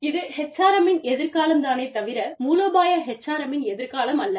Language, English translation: Tamil, Which is the future of HRM, not strategic HRM